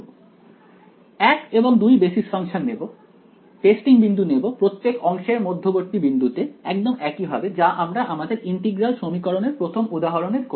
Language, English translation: Bengali, Pick these basis functions 1 and 2, pick the testing points to be the midpoints of each of these segments just like how we had done in the first example on integral equations right